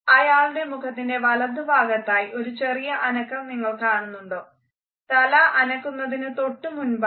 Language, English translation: Malayalam, Do you see this little twitch on the right side of his face here before he shakes